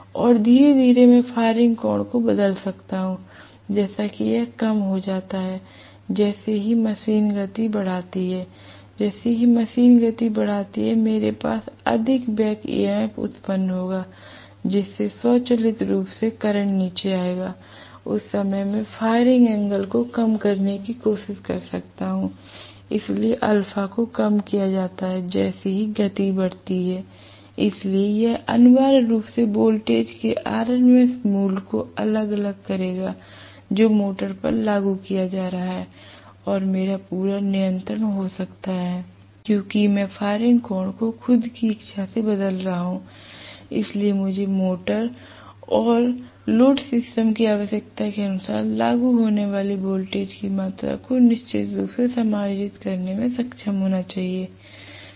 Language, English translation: Hindi, And slowly I can vary the firing angle such that it decreases as the machine picks up speed, as the machine picks up speed, I will have more back EMF generated, so that will automatically bring down the current, at that point I can try to reduce the firing angle, so alpha is decreased as speed picks up right, so this will essentially vary the RMS value of voltage that is being applied to the motor and I can have a complete control because I am looking at the firing angle being changed at my own will, so I should be able to definitely adjust the amount of voltage that is being applied as per the requirement of the motor and the load system right